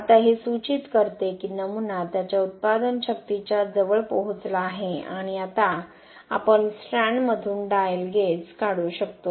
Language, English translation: Marathi, Now this indicates that the specimen has reached its close to its yield strength and now we can remove the dial gauge from the strand